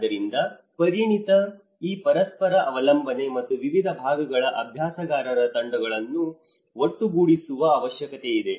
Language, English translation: Kannada, So, this interdependency of expertise and the need to bring together teams of practitioners from different disciplines